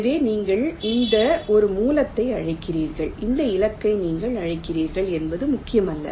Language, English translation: Tamil, ok, so it does not matter which one you are calling a source and which one you calling as target